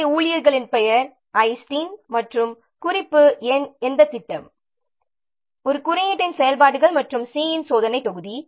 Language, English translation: Tamil, So it's so that the name of the staff, so Justin and the reference number which project activities for code and test module of C